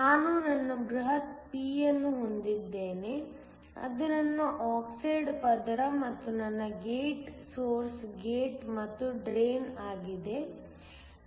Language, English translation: Kannada, I have my bulk p it is my oxide layer and my gate source gate and drain